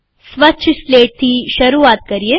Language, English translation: Gujarati, Start with a clean slate